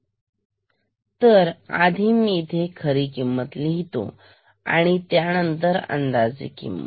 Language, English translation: Marathi, Let me first write the true value and then I will do the approximation